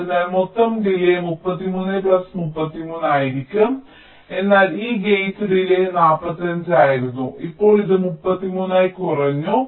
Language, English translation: Malayalam, so the total delay will be thirty three plus thirty three, but this gate delay was forty five